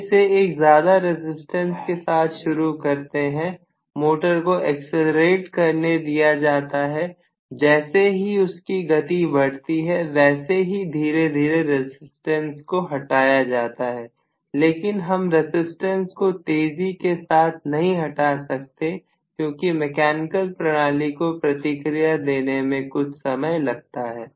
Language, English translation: Hindi, You start off with very large resistance, allow the motor to accelerate, as it accelerates, you cut off the resistance slowly but you cannot cut off the resistance really fast because it takes some time for the mechanical system to respond